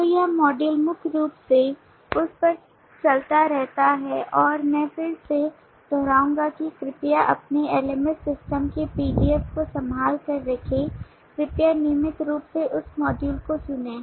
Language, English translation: Hindi, so this module primarily continues on that and i would again repeat that please keep the pdf of your lms system handy please refer to that regularly as you listen to this module